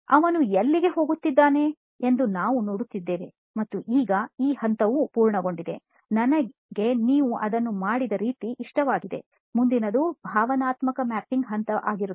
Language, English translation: Kannada, We are seeing where he’s going through that and now of course the, it is complete as is, I like the way you have done it, of course the next step would be emotional mapping